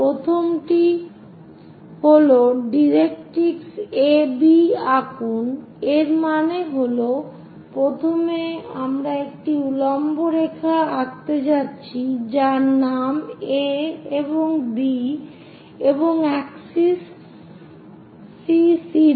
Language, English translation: Bengali, The first one is draw directrix A B, so that means, first of all, a vertical line we are going to draw name it A and B and also axis CC prime